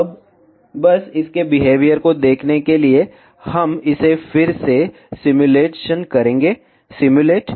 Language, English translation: Hindi, Now, just to see its behavior, we will simulate it again simulate